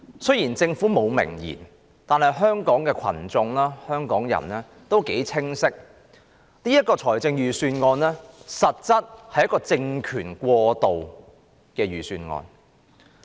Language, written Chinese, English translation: Cantonese, 雖然政府沒有明言，但香港人清晰知道，這實質上是政權過渡的預算案。, Although the Government does not say it explicitly Hong Kong people all know well that this is essentially a Budget for a transitional regime